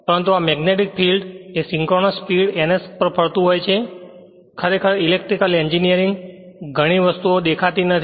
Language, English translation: Gujarati, So, arbitrarily it is taken right, but this magnetic field rotating at a synchronous speed ns actually electrical engineering many things are not visible right